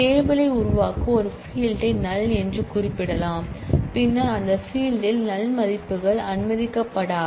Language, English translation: Tamil, Create table we can specify a field to be not null and then in that case null values will not be allowed in those fields